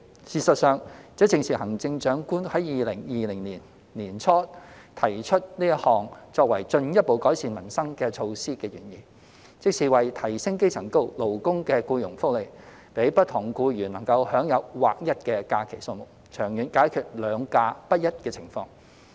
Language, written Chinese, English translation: Cantonese, 事實上，這正是行政長官於2020年年初提出此項作為進一步改善民生的措施的原意，即是為提升基層勞工的僱傭福利，讓不同僱員能享有劃一的假期數目，長遠解決"兩假"不一的情況。, In fact this was the original intention of the Chief Executive when she put forward this alignment in early 2020 as a measure to further improve peoples livelihood hoping to enhance the employment benefit of grass - roots workers and allow all workers in Hong Kong to enjoy the same number of holidays so as to resolve the disparity of holiday entitlements in the long run